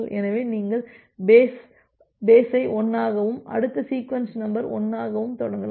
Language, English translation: Tamil, So, you start with the base as 1 and the next sequence number 1